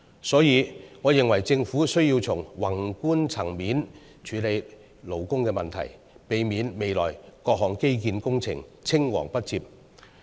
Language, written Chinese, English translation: Cantonese, 所以，我認為，政府需要從宏觀層面處理勞工問題，避免未來各項基建工程青黃不接。, Therefore I hold that the Government needs to deal with labour issues at a macro level to prevent a succession gap in future infrastructure projects